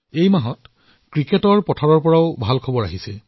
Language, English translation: Assamese, This month, there has been very good news from the cricket pitch too